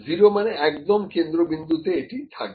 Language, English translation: Bengali, 0 means exactly at centre